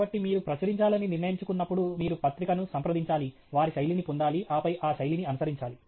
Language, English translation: Telugu, So, you should, when you decide to publish you have to contact the journal, get their style and then follow that style